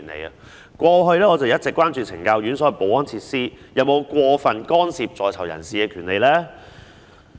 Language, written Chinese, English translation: Cantonese, 我過去一直關注懲教院所的保安設施有否過分干涉在囚人士的權利。, I have all along been concerned about whether the security facilities in correctional institutions have excessively interfered with the rights of prisoners